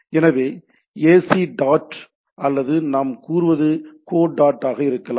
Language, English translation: Tamil, So, there can be ac dot or what we say co dot in